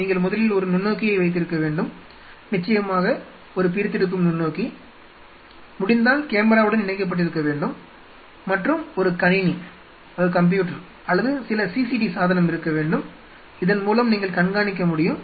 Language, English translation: Tamil, So, let us summarize what all you need to have you need to have a microscope first a dissecting microscope of course, if possible connected to the camera and a viewer with a computer or some CCD device, where you can monitor